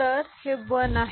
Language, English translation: Marathi, So, this is 1 1